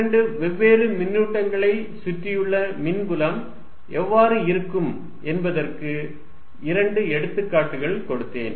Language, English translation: Tamil, So, these are some example of the field, I given in two examples of what electric field around two different charges looks like